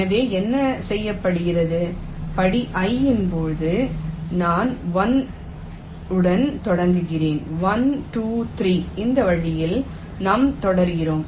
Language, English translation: Tamil, so what is done is that during step i, i starts with one, one, two, three